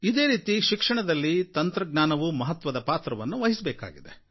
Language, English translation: Kannada, Likewise, technology plays a very big role in education